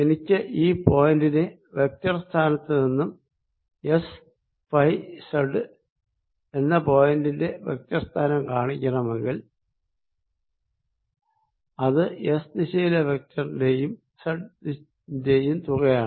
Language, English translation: Malayalam, if i want to show the vector from vector position of this point, the vector position of point s, phi and z, this is going to be sum of the vector in s direction here plus z